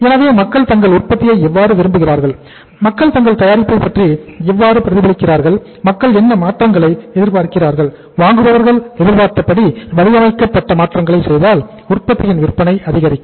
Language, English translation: Tamil, So they remain informed that how people like their production, how people react about their product, and what changes people expect and if we make the desired changes as designed as expected by the by the buyers then the sales of the product may pick up